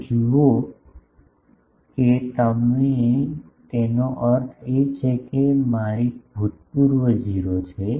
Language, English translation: Gujarati, So, you see that that means my Ex is 0